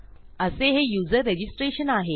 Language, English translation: Marathi, And that is user registration